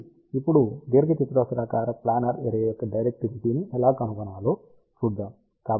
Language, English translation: Telugu, So, now let us see how to find the directivity of the rectangular planar array